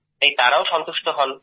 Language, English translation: Bengali, So those people remain satisfied